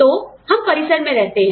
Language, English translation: Hindi, So, we stay on campus